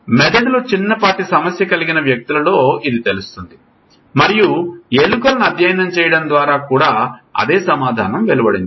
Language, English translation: Telugu, We know it in the people who had damage to the brain and by studying rats I told you it is the same answer